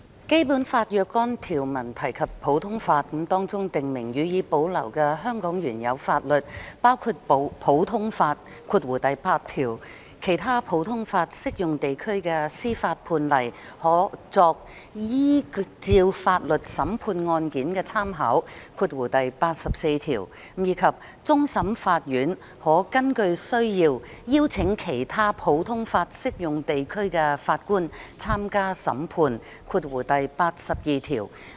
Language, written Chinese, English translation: Cantonese, 《基本法》若干條文提及普通法，當中訂明：予以保留的香港原有法律包括普通法、其他普通法適用地區的司法判例可作依照法律審判案件的參考，以及終審法院可根據需要邀請其他普通法適用地區的法官參加審判。, Certain provisions of the Basic Law which make references to the common law stipulate among other things that the laws previously in force in Hong Kong which shall be maintained include the common law Article 8 reference may be made to precedents of other common law jurisdictions in the adjudication of cases in accordance with the laws Article 84 and the Court of Final Appeal may as required invite judges from other common law jurisdictions to sit on the Court of Final Appeal Article 82